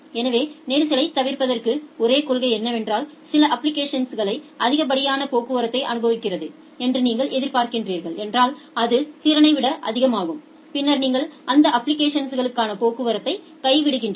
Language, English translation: Tamil, So, remember that to avoid the congestion, the only principle is that if you are expecting that certain application is sending too much traffic which is more than the capacity then you drop the traffic for those applications